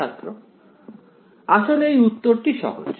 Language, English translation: Bengali, In fact, this answer is simpler